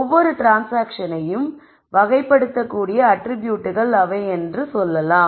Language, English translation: Tamil, Let us say those are the attributes that characterize every single transaction